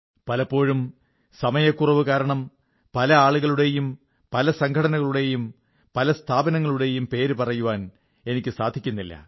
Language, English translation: Malayalam, Many a time, on account of paucity of time I am unable to name a lot of people, organizations and institutions